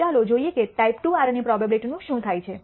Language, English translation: Gujarati, Let us look at what happens to a type II error probability